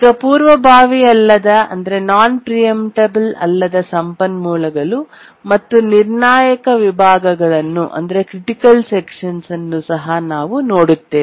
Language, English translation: Kannada, These are the non preemptible resources and also we'll look at the critical sections